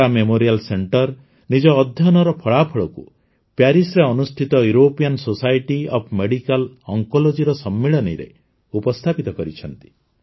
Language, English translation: Odia, The Tata Memorial Center has presented the results of its study at the European Society of Medical Oncology conference in Paris